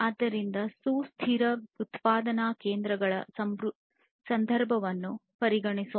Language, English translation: Kannada, So, let us consider the context of sustainable manufacturing industries